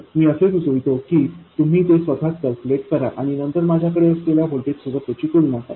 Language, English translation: Marathi, I suggest that you calculate it by yourself and then compare it to what I have